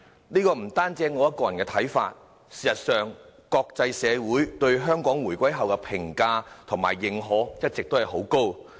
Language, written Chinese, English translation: Cantonese, 這不單是我個人的看法，事實上，國際社會對香港回歸後的評價和認可一直很高。, These are not my personal views . In fact the international community has always highly appraised and approved Hong Kong since the reunification